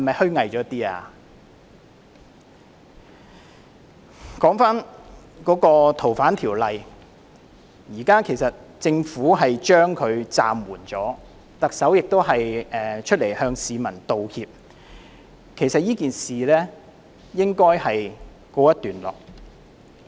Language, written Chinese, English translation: Cantonese, 說回《逃犯條例》的修訂，現時政府已經暫緩，特首亦已經出來向市民道歉，這件事應該告一段落。, Coming back to the FOO amendment with the amendment exercise now suspended by the Government and the Chief Executive having apologized to the public the issue should have come to an end